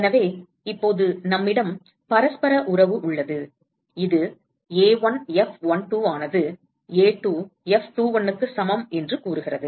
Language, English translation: Tamil, So, now we have reciprocity relationship which says that A1 F12 equal to A2 F21